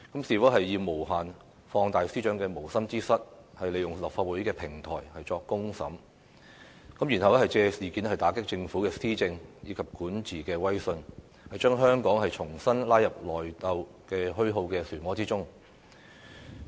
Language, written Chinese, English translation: Cantonese, 是否要無限放大司長的無心之失，利用立法會的平台作"公審"，然後借事件打擊政府施政和管治威信，將香港重新拉入內鬥虛耗的漩渦之中？, Does he want to magnify indefinitely the negligence of the Secretary for Justice take advantage of the Council as a platform to conduct a public trial capitalize on the incident to attack the Government in respect of policy implementation and governance and drag Hong Kong again into a spiral of infighting and attrition?